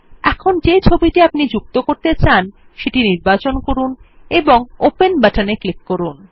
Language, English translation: Bengali, Now choose the picture we want to insert and click on the Open button